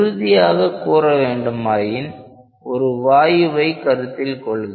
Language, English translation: Tamil, To come into more concrete terms, we will consider a gas